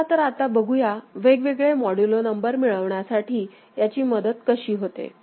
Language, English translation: Marathi, Now, let us see how it helps in getting different modulo number ok